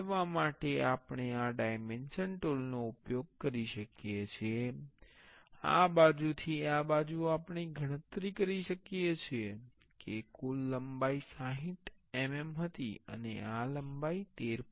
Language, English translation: Gujarati, For moving we can use these dimensions tool, from this side to this side we can calculate the total length was 60 mm and this length is 13